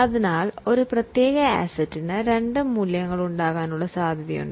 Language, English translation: Malayalam, So, there is a possibility that a particular asset can have two values